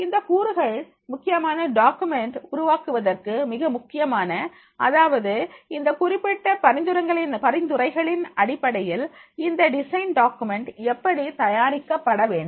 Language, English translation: Tamil, So, all these aspects that will be creating a very much important document that is the how the design documents are to be made in context of this particular suggestive points